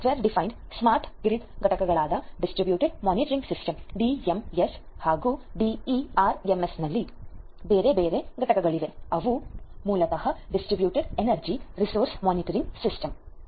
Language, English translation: Kannada, There are different other components in the software defined smart grid in know components such as the Distributed Management System the DMS, the DERMS which is basically they are Distributed Energy Resource Management System